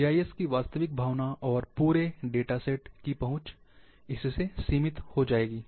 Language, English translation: Hindi, The real feeling of GIS, and the accessibility of the full data set, becomes limited